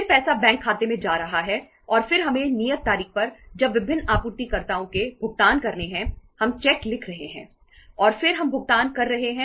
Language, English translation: Hindi, Then money is going to the bank account and then we have to on the due date when the payments of the different suppliers are becoming due we are writing the cheques and then we are making the payments